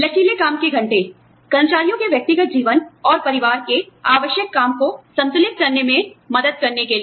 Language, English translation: Hindi, Flexible working hours, to help employees, balance work in, personal lives and family needs